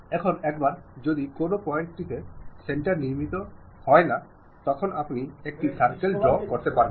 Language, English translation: Bengali, Now, once center is constructed from any point of that, you are going to draw a circle